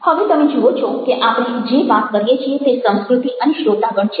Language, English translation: Gujarati, now what we are doing is that culture and audience